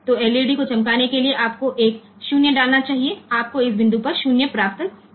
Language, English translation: Hindi, So, if you to glow the LED to glow the LED you should put A 0 you should get A 0 at this point